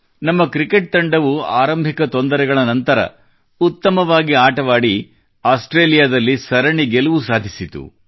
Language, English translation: Kannada, Our cricket team, after initial setbacks made a grand comeback, winning the series in Australia